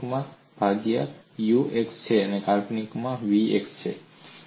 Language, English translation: Gujarati, The real part is u x y, imaginary part is v x y